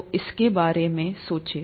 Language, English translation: Hindi, So think about it